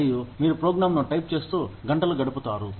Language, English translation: Telugu, And, you spend hours, typing a program